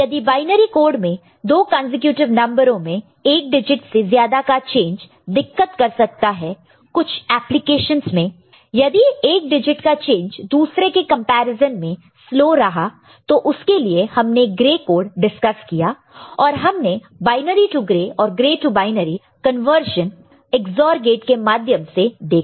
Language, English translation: Hindi, The change of more than one digit for two consecutive numbers in binary code will give problem in certain applications, if one digit change is slower than the other for which, we discussed gray code and we have binary to gray and gray to binary conversion using Ex OR gates